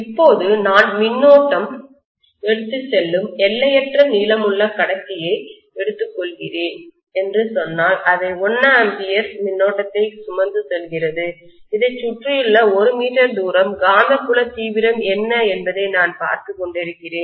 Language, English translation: Tamil, Now if I say that I am just taking a current carrying conductor of infinite length and let us say it is carrying a current of 1 ampere and I am looking at what is the magnetic field intensity around this at a distance of say 1 meter